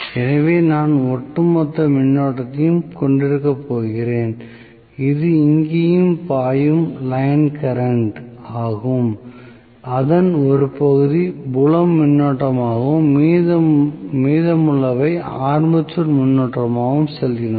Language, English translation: Tamil, So, this plus, so I am going to have a overall current which is the line current flowing here, part of it goes as field current, rest of it goes as armature current